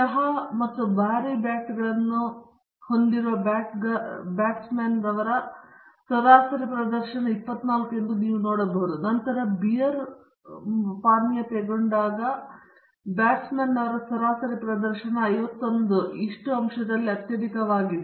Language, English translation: Kannada, You can see 24 is the average performance of the batsman when he is having tea and heavy bat; and then beer and heavy bat the average performance is the highest at 51